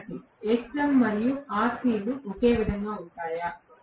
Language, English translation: Telugu, Student: Xm and Rc will remain the same